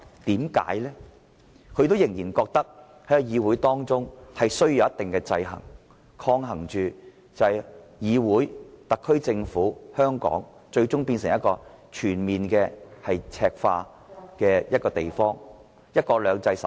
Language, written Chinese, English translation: Cantonese, 因為他們仍然覺得議會內需要有一定的制衡，以抗衡議會、特區政府和香港最終全面赤化，免致香港無法守住"一國兩制"。, Why? . That is because they still consider it necessary to have some kind of balances in the Council to prevent the Council the SAR Government and Hong Kong from Mainlandizing completely and to safeguard one country two systems for Hong Kong